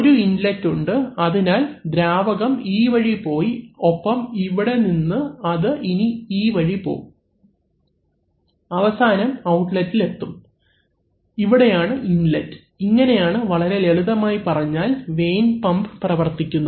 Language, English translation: Malayalam, You can have one Inlet, so then the fluid will get, go this way and from here it will go this way and I mean rather finally it will go, so here you will get the overall outlet and here is the overall inlet, so this is the way a vane pump works very simply speaking